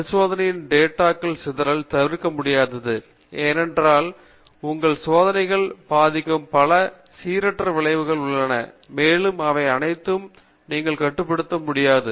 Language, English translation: Tamil, The scatter in the experimental data is inevitable, because there are lot of random effects which are influencing your experiment and you cannot control all of them